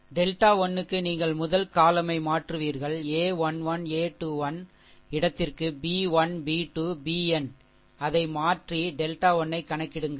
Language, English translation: Tamil, Just for delta 1 you will replace the first column of this ah of a 1 1, a 2 1 up to the place by b 1, b 2, b n, just replace it and calculate delta 1